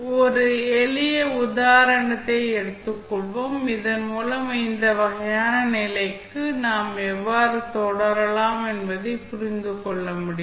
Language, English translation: Tamil, Let us take one simple example, so that you can understand how we can proceed for this kind of condition